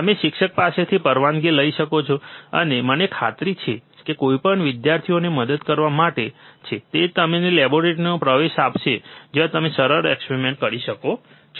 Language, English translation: Gujarati, You can take permission from a teacher, and I am sure that anyone who is there to help student will give you an access to the laboratory where you can do the simple experiments, right